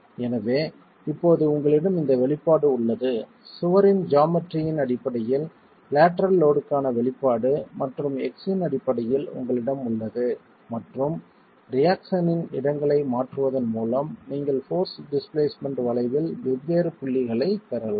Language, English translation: Tamil, So, now you have this expression, the expression for the lateral load in terms of the geometry of the wall and the you have it in terms of x and with shifting locations of the eccentric of the reaction you can then get different points on the force displacement curve